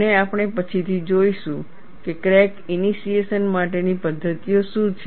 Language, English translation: Gujarati, And we would see later, what are the mechanisms for crack initiation